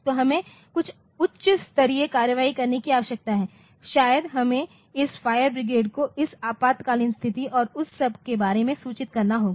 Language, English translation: Hindi, So, we need to take some high level action maybe we have to inform this fire brigade about this emergency condition and all that